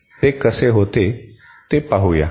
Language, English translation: Marathi, Let us see how it is done